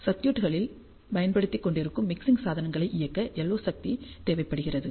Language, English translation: Tamil, LO power is required to drive the mixing devices that have been used in the circuits